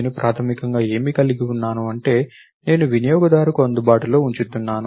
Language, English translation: Telugu, Notice that I have basically, what is that I am making available to the user